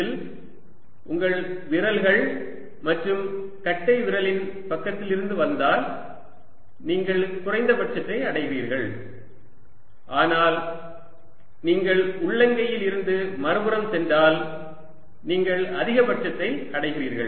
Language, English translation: Tamil, in this, if you come from the side of your fingers and thumb, you are hitting a minimum, but if you go from the palm to the other side, you hitting a maximum